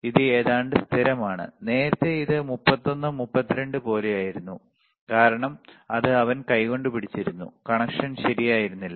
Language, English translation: Malayalam, It is almost constant, earlier it was like 31, 32 because it he was holding with hand, the connection was were not proper